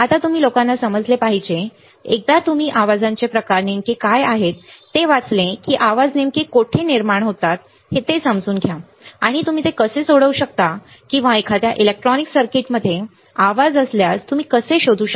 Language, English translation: Marathi, Now, you guys you have to understand, once you read what are the types of noises right, understand where exactly this noises are generated, and how can you solve, how can you solve or how can you find if there is a noise in an electronic circuit ok